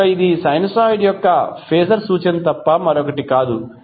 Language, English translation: Telugu, So that is nothing but the phaser representation of the sinusoid